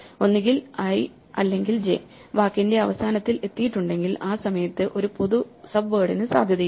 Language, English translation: Malayalam, So, if either i or j has reached the end of the word then there is no possibility of a common subword at that point